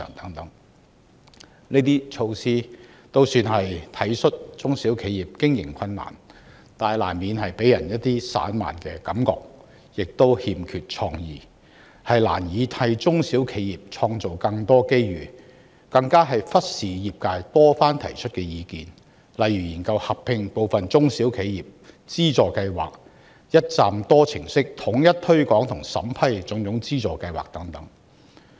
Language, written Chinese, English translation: Cantonese, 政府推行這些措施，總算是體恤中小企的經營困難，但難免予人散漫之感，亦欠缺創意，難以替中小企創造更多機遇，更忽視業界多番提出的意見，例如研究合併部分中小企資助計劃、一站式統一推廣和審批種種資助計劃等。, While these measures have somehow showed the Governments understanding of SMEs operating difficulties they seem to be disorganized and uncreative failing to create opportunities for SMEs . The Government has also failed to take heed of the repeated advice given by the trade . For instance the trade has asked the Government to consider merging certain SME financing schemes and providing one - stop services for promotion and funding approval under different schemes